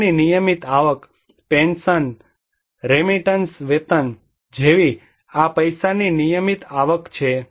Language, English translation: Gujarati, Regular inflow of money: like pensions, remittance, wages, these are the regular inflow of money